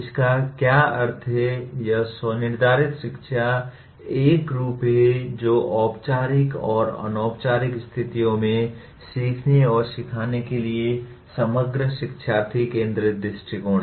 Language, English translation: Hindi, What it means is, it is a form of self determined learning that is holistic learner centered approach to learning and teaching in formal and informal situations